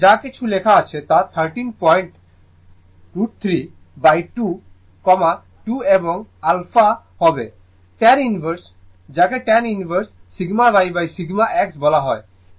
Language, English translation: Bengali, Whatever it is written here 13 point root 3 by 2, 2 and alpha will be tan inverse ah your what you call tan inverse your sigma y upon sigma x